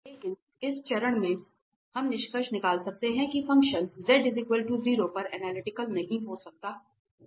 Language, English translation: Hindi, But analyticity at this stage itself, we can conclude that the function cannot be analytic at z equal 0